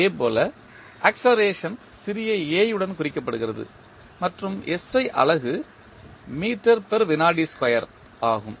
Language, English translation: Tamil, Similarly, acceleration is represented with small a and the SI unit is meter per second square